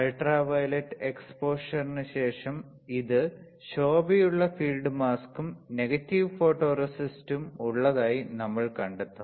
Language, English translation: Malayalam, We will find that after UV exposure this one with bright field mask and negative photoresist, what we will find